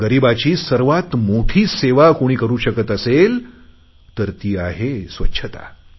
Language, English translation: Marathi, The greatest service that can be rendered to the poor is by maintaining cleanliness